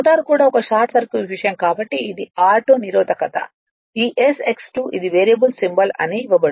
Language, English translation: Telugu, Rotor itself is a short circuit thing so this is r 2 resistance this s X 2 it is given as a your what you call that a variable symbol right